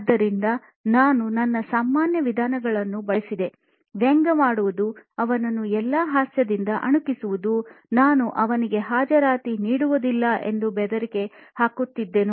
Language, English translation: Kannada, So I used my usual methods, sarcasm, making him a butt of all jokes, threatening him, not that I won't give him attendance, all that